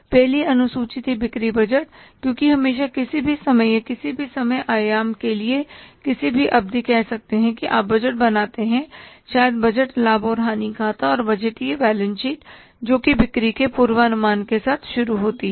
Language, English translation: Hindi, Because always any time or for any time horizon, any time period, you prepare the, say, budget, maybe the budgeted profit and loss account and the budgeted balance sheet that begins with the forecasting of sales